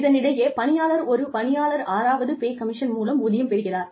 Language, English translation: Tamil, In the meantime, the employee, when the employee goes, its sixth pay commission